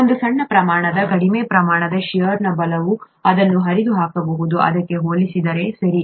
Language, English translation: Kannada, A small amount of, smaller amount of shear force can tear this apart compared to this, okay